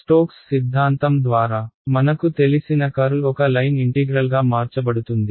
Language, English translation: Telugu, Curl I know by stokes theorem is going to convert to a line integral